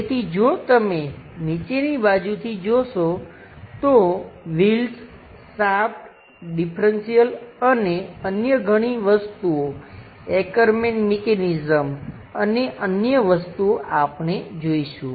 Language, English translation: Gujarati, So, if you are looking from bottom side, the wheels, the shaft, differential and many other things we will see that, the Ackerman's mechanism and other things